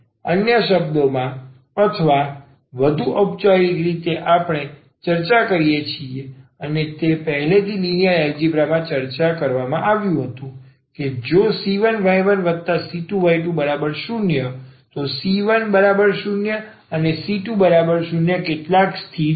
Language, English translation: Gujarati, In other words or more formally we discuss and that was already discussed in linear algebra that if the c 1 y 1 and plus c 2 y 2 the c 1 c 2 are some constants